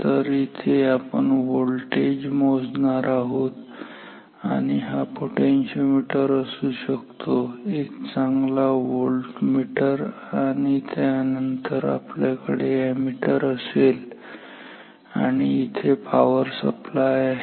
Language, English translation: Marathi, So, this is where we will measure the voltage this can be a potentiometer or a very good voltmeter and then we will have the ammeter and here we will have the power supply